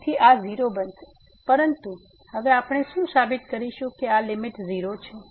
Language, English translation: Gujarati, So, this will become 0, but what we will prove now that this limit is 0